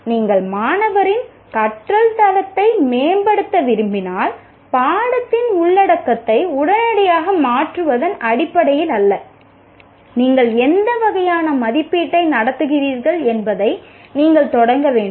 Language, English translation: Tamil, If you want to improve the quality of learning by the student, you have to start from what kind of assessment you are conducting, not in terms of changing the content of the course immediately